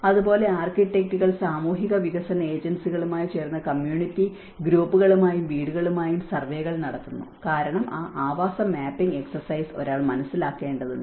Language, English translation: Malayalam, So, similarly the architects work with the social development agencies to carry out surveys with community groups and house because one has to understand that habitat mapping exercise